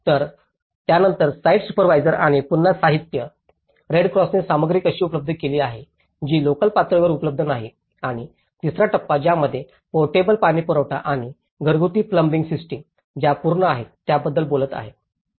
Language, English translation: Marathi, So, then the site supervisors and again the materials, how the Red Cross has provided the materials, which are not available locally and the stage three, which is talking about the completion which has the portable water supply and the household plumbing systems which onto the service mechanism part of it